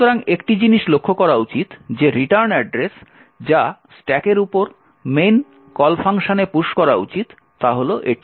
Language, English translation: Bengali, So, one thing to note is that the written address which should be pushed onto the stack if the call function in main is this